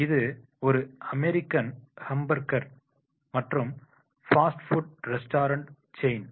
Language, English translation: Tamil, McDonald's is an American hamburger and fast food restaurant chain